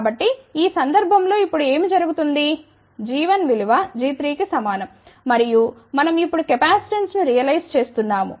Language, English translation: Telugu, So, in this case what happens now g 1 is equal to g 3 and we are now realizing capacitance